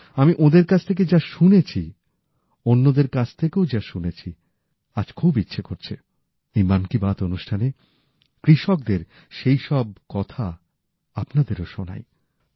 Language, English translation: Bengali, What I have heard from them and whatever I have heard from others, I feel that today in Mann Ki Baat, I must tell you some things about those farmers